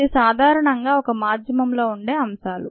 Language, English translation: Telugu, so this is what a medium in general contains